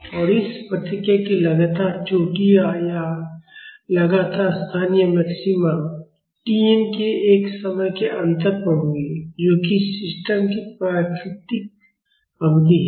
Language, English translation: Hindi, And the consecutive peaks or consecutive local maxima of this response will be at a time difference of T n that is the natural period of the system